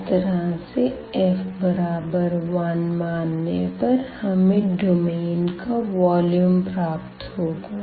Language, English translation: Hindi, So, by considering this f as 1 we will get nothing, but the volume of that sub region again